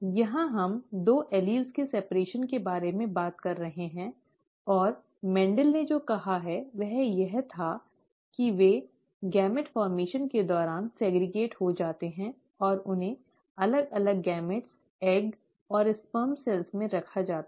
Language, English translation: Hindi, Here we are talking about the separation of the two alleles, and what Mendel said was that they segregate during gamete formation and are placed in different gametes, the egg and the sperm cells